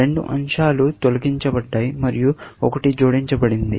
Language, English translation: Telugu, Two elements have been removed and one has been added